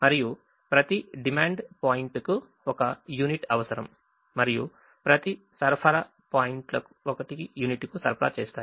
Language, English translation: Telugu, each supply points supplies only one unit and each demand point requires only one unit